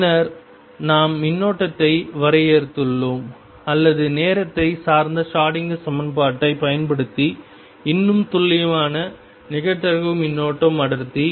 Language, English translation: Tamil, Now, let me derive a relationship, using time dependent Schroedinger equation between the current density and the probability density